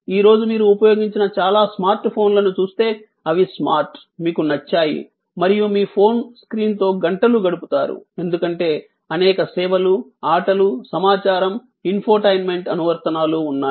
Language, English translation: Telugu, And today if you see most smart phone that you used they are smart, you like and you spend hours with the screen of your phone, because of the many services, games, information, infotainment applications